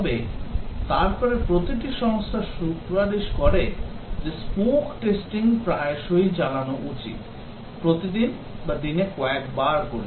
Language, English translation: Bengali, But then every organization recommends that smoke testing be carried out frequently, performed daily or several times a day